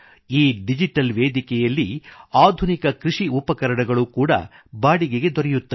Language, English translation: Kannada, Modern agricultural equipment is also available for hire on this digital platform